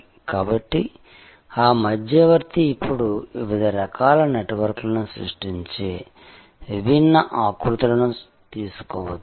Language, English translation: Telugu, So, that intermediary is the can now take different shapes creating different types of networks